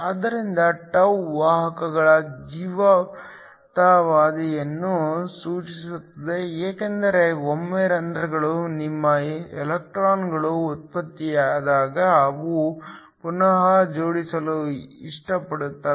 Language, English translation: Kannada, So, τ refers to the life time of the carriers because once your electrons in holes are generated they will like to recombine